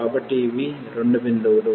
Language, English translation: Telugu, So, these are the two points